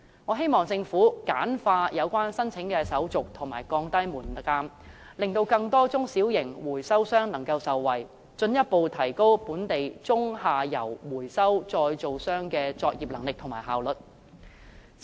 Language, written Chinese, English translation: Cantonese, 我希望政府簡化有關申請手續和降低門檻，令更多中小型回收商能夠受惠，從而進一步提高本地中、下游回收再造商的作業能力和效率。, I hope the Government will streamline the relevant application procedures and lower the threshold so that more small and medium - sized recyclers can be benefited thereby further raising the operating capacity and efficiency of local recyclers in the middle and lower streams